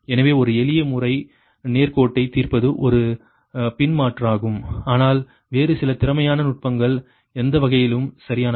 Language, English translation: Tamil, so one simplest method is solving linear is a back substitution, but some other efficient techniques are there, right in any way